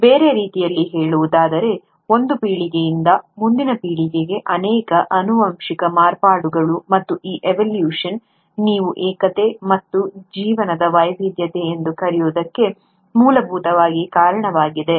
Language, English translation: Kannada, In other words, multiple heritable modifications from one generation to the next, and it is this evolution which essentially accounts for what you call as the unity and the diversity of life